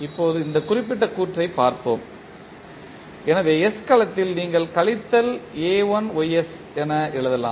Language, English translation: Tamil, Now, let us see this particular component so in s domain you can write as minus a1ys